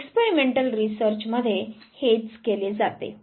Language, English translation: Marathi, This is now what is done in the experimental research